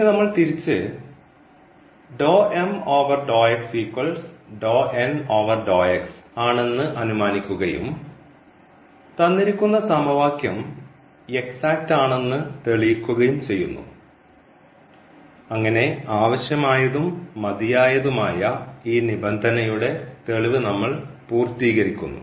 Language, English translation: Malayalam, And now we will look the other way around, that if this condition holds then we will show that the equation is exact and that we will complete the proof of this necessary and sufficient condition